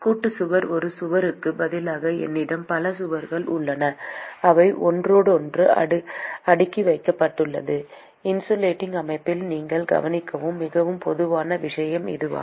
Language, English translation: Tamil, Composite wall: So supposing instead of one wall, I have multiple walls which are stacked with next to each other; and this is the very, very common thing that you would observe in a insulating system